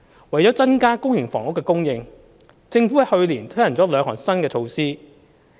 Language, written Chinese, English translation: Cantonese, 為增加公營房屋供應，政府在去年推行了兩項新措施。, To increase public housing supply the Government introduced two new measures last year